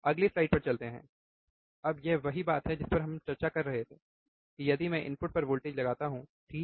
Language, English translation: Hindi, Ah so, let us go to the next slide, now this is the same thing that we were discussing, that if I apply a voltage at the input, right